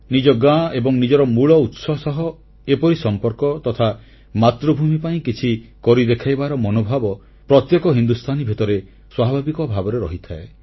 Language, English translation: Odia, A sense of belonging towards the village and towards one's roots and also a spirit to show and do something is naturally there in each and every Indian